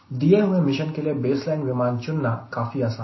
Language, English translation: Hindi, so it is very easy to select a baseline aircraft for the mission